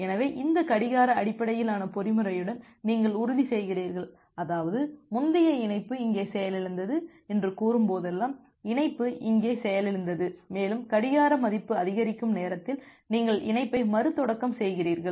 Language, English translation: Tamil, So, with this clock based mechanism what you are ensuring; that means, whenever a previous connection say get crashed here, the connection get crashed here and you are restarting the connection by the time the clock value will increase